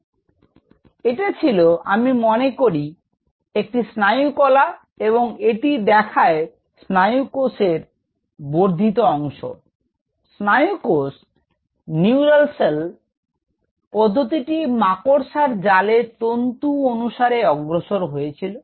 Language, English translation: Bengali, So, it was; I think it was a neural tissue and it shows the extension of the neural cell bar; neural cell process is moving along the threads of the spider net